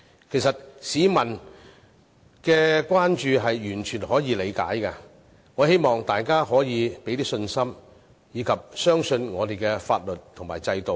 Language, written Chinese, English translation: Cantonese, 其實市民的關注是完全可以理解的，我希望大家可以給予信心，並相信我們的法律及制度。, In fact such public concerns are fully understandable . I hope people will have confidence in our laws and systems and trust them